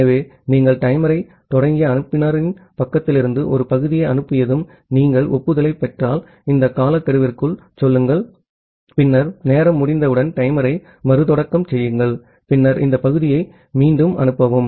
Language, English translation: Tamil, So, once you have transmitted a segment from the sender side you start the timer, say within this timeout if you receive the acknowledgement, then you restart the timer otherwise once timeout occurs, then you retransmit this segment